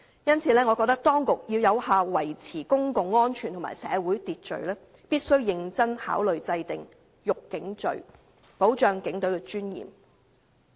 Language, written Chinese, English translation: Cantonese, 因此，我認為當局如要有效維持公共安全和社會秩序，必須認真考慮制訂"辱警罪"，維護警隊的尊嚴。, For this reason I consider that for the sake of effectively maintaining public security and social order the authorities must seriously consider introducing the offence of insulting a police officer to uphold the dignity of the Police Force